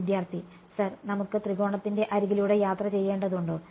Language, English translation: Malayalam, Sir, do we have to like travel along of the edges of the triangle